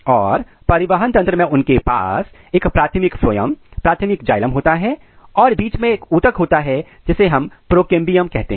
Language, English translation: Hindi, And in transport system if you have, they have a primary phloem, primary xylem and in between there is a tissue called procambium